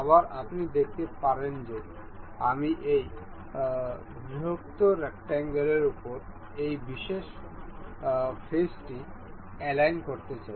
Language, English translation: Bengali, Once again, you can see say I want to align this particular face over this larger rectangle